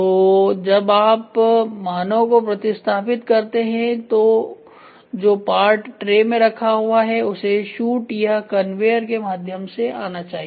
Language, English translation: Hindi, So, when you replace the man the parts which is there in the tray which I was talking to you now has to come through a shoot or a conveyor